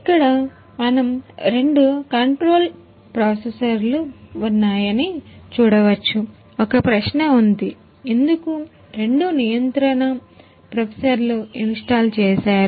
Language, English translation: Telugu, Here we can see the two control processors are there say, one question is there, why two control processors are installed heres